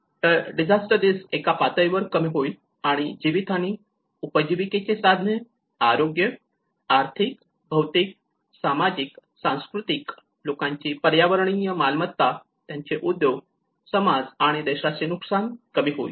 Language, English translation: Marathi, the substantial reduction of disaster risk and losses in lives, and livelihoods and health, and economic, physical, social, cultural and environmental assets of persons, businesses, communities and countries